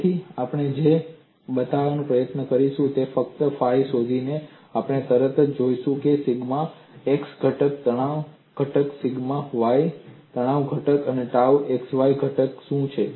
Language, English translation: Gujarati, So, what we would try to show is, by just finding out phi, we would immediately get to know what is the sigma x stress component, sigma y stress component, dou x stress components